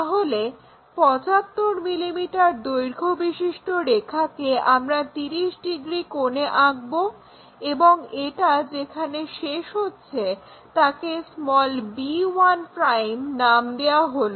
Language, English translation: Bengali, So, the 75 mm a line we will draw at 30 degree angle and it stops call that 1 b 1'